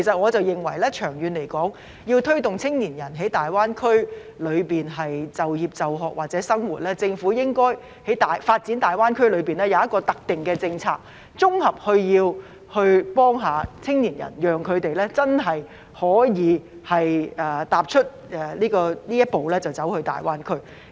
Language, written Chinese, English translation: Cantonese, 我認為長遠而言，要推動青年人前往大灣區就業、就學或生活，政府發展大灣區時，應該制訂一項特定的政策，綜合幫助青年人，讓他們能真正踏出一步前往大灣區。, I think in the long term in order to encourage young people to work study or live in GBA the Government should formulate a specific policy in developing GBA to provide comprehensive assistance to young people so that they can take the first step to venture into GBA